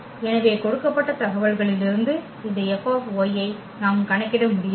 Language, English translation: Tamil, So, we cannot compute this F y from the given information